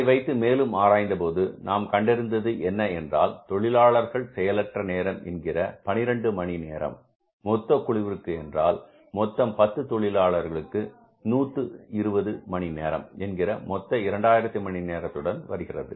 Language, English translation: Tamil, So, we found out that if you take into consideration the labor idle time of the 12 hours of the total gang, means which works out as 10 workers into 12 is 120 hours out of 2,000 hours total